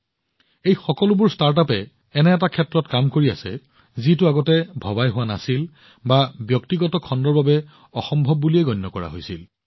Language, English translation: Assamese, All these startups are working on ideas, which were either not thought about earlier, or were considered impossible for the private sector